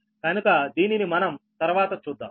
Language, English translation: Telugu, right and later we will see